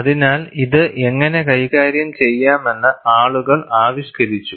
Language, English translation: Malayalam, So, people have also devised how this could be handled